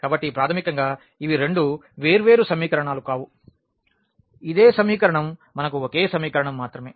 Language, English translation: Telugu, So, basically these are not two different equations this is the same equation we have only 1 equations